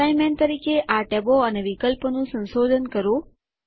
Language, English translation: Gujarati, As an assignment, explore these tabs and the options, therein